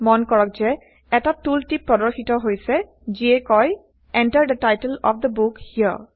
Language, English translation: Assamese, Notice that a tooltip appears saying Enter the title of the book here